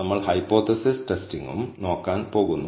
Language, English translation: Malayalam, We are also going to look at hypothesis testing